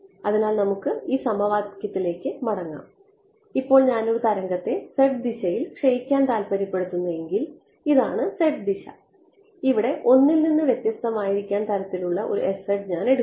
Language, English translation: Malayalam, So, let us go back to this equation over here this was if I wanted to decay a wave in the z direction right this was the z direction over here I chose an s z to be different from 1 correct